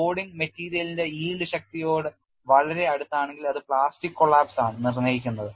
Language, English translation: Malayalam, If the loading is very close to the yield strength of the material, it is essentially dictated by plastic collapse